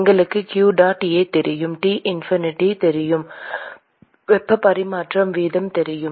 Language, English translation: Tamil, We know q dot A, we know T infinity, we know the heat transfer rate